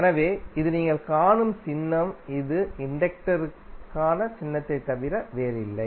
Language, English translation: Tamil, So the symbol you will see in the literature like this, which is nothing but the symbol for inductor